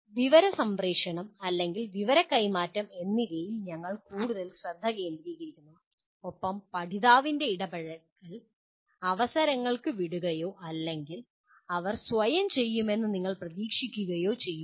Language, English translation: Malayalam, We focus more on information transmission or information transfer and leave the learner’s engagement to either chance or you expect them to do on their own